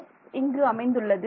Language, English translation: Tamil, So, there is an x